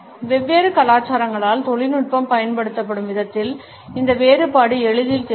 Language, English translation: Tamil, And this difference is easily visible in the way technology is used by different cultures